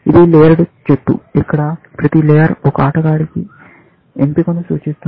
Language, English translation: Telugu, It is a layered tree where, each layer represents the choice for one player